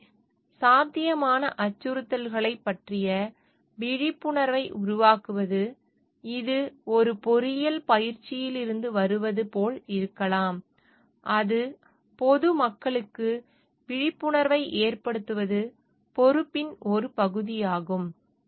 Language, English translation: Tamil, So, generating awareness about the possible threats, which may be like coming from an engineering practice should also it is a part of the responsibility to make the public aware of it